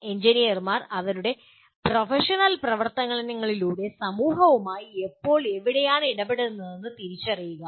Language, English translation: Malayalam, Identify when and where engineers interact with society through their professional activities